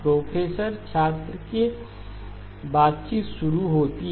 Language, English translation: Hindi, “Professor student conversation starts